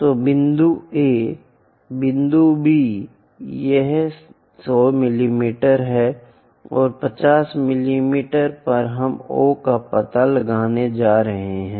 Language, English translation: Hindi, So, point A, point B this is 100 mm, and at 50 mm we are going to locate O